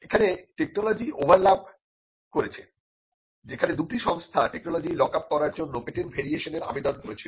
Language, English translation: Bengali, This was on an overlapping technology where, the two institutions where applying for variations on patents to lock up associated technology